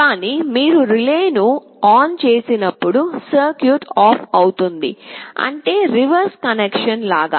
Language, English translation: Telugu, But, when you turn on the relay the circuit will be off; that means, just the reverse convention